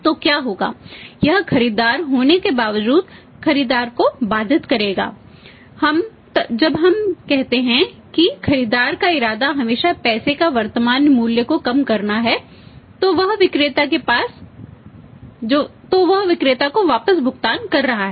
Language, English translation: Hindi, So, what will happen he would restrict the buyer even the buyer despite being the buyer when we say the buyers intention is always to minimise the present value of the money he is paying back to the seller